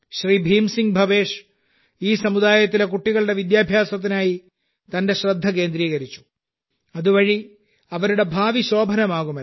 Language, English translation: Malayalam, Bhim Singh Bhavesh ji has focused on the education of the children of this community, so that their future could be bright